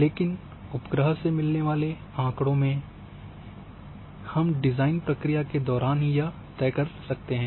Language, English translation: Hindi, But in case of satellite data during only design process it can be decided